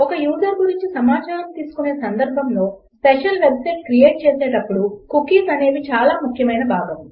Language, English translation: Telugu, Cookies are a very important part when creating special websites where you store information about a user